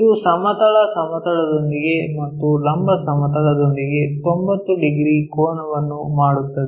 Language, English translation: Kannada, It makes 90 degrees angle with the horizontal plane, makes an angle with the vertical plane